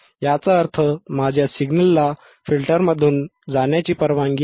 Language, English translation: Marathi, That means, again my signal is allowed to pass through the filter,